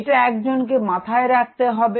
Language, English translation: Bengali, That is something one has to keep in mind